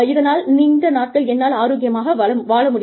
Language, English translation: Tamil, And, I stay healthier for a longer time